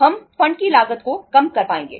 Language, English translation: Hindi, We will be able to minimize the cost of funds